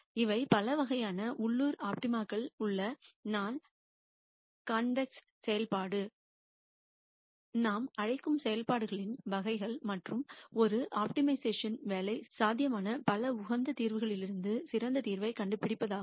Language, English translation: Tamil, And these are types of functions which we call as non convex functions where there are multiple local optima and the job of an optimizer is to find out the best solution from the many optimum solutions that are possible